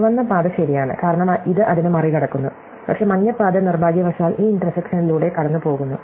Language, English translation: Malayalam, The red path is ok, because it bypasses it, but the yellow path unfortunately also goes through this intersection